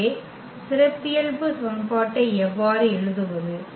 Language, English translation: Tamil, So, how to write the characteristic equation